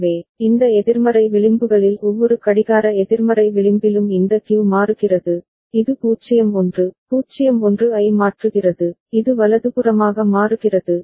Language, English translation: Tamil, So, this Q changes in every clock negative edge right these negative edges, it is changing 0 1, 0 1, it is toggling right